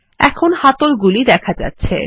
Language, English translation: Bengali, Now the handles are visible